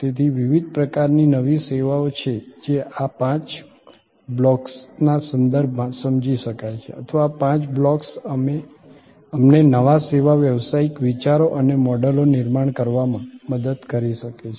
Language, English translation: Gujarati, So, there are different kinds of new services which can be understood in terms of these five blocks or these five blocks can help us to generate new service business ideas and models